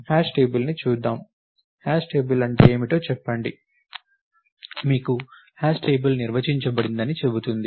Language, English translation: Telugu, And let us look at the hash table, what is the hash table tell you, it says that you are given hash table is defined for you